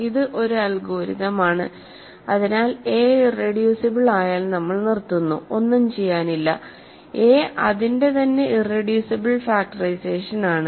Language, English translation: Malayalam, So, it is sort of an algorithm, so if a is irreducible we stop there is nothing to do a is its own irreducible factorization